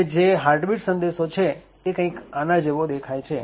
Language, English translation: Gujarati, Now, the heartbeat message looks something like this